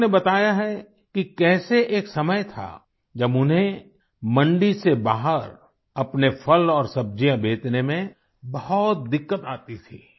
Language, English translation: Hindi, He told us how there was a time when he used to face great difficulties in marketing his fruits and vegetables outside the mandi, the market place